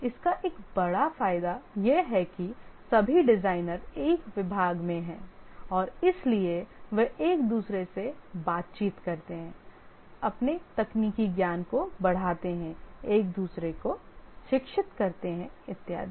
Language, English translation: Hindi, One of the major advantage of this is that all designers they are in a department and therefore they interact with each other, enhance their technical knowledge, educate each other and so on